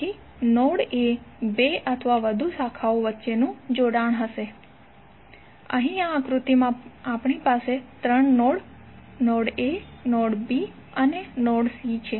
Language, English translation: Gujarati, So node will be the connection between the two or more branches, Here in this figure we have three nodes, node a, node b and node c